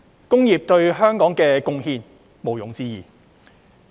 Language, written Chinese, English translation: Cantonese, 工業對香港的貢獻毋庸置疑。, The contribution of industry to Hong Kong is beyond doubt